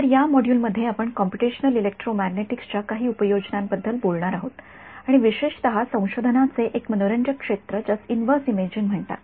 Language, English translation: Marathi, So in this module we will be talking about some of the applications of Computational Electromagnetics and in particular an interesting area of research called inverse imaging ok